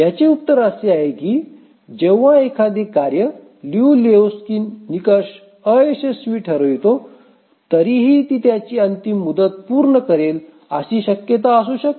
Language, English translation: Marathi, The answer to this is that even when a task set fails the Liu Lejou Lehchkis criterion, still it may be possible that it may meet its deadline